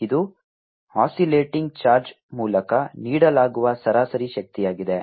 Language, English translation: Kannada, this is the average power that is given out by oscillating charge